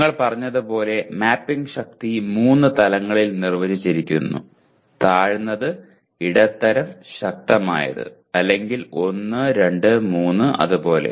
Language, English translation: Malayalam, As we said the mapping strength is defined at 3 levels; low, medium, strong or 1, 2, 3 like that